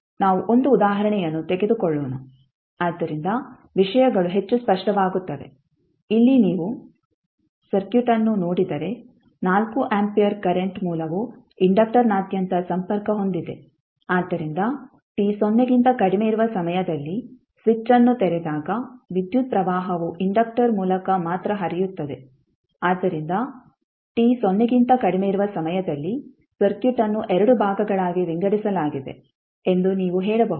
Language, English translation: Kannada, Let us take 1 example so that the things are more clear, here if you see the circuit the 4 ampere current source is connected across the inductor so at time t less than 0 when the switch is opened, the current is flowing only through the inductor so you can say that at time t less than 0 the circuit is divided into 2 parts